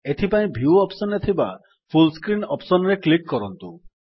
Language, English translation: Odia, Click on the View option in the menu bar and then click on the Full Screen option